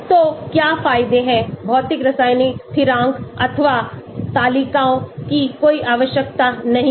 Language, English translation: Hindi, So, what are the advantages, no need for physicochemical constants or tables